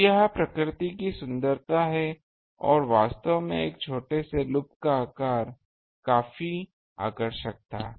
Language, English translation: Hindi, So, that is the beauty of nature ah and actually the size of a small loop was quite attractive